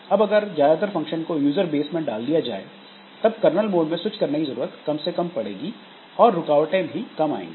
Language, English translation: Hindi, Now, if most of the functions are moved to the user space, then this kernel switching will not be required